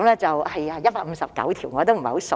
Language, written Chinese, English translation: Cantonese, 是的 ，159 條。, You are right 159 articles